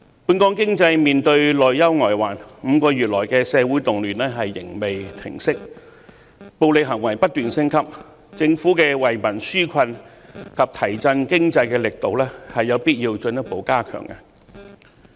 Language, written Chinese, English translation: Cantonese, 本港經濟面對內憂外患 ，5 個月來的社會動亂仍未平息，暴力行為不斷升級，政府的惠民紓困及提振經濟的措施有必要進一步加強。, Hong Kongs economy is now beset with both internal and external problems . While social riots have gone on for five months and violence continues to escalate the Government should further strengthen its measures to ease peoples burden and boost the economy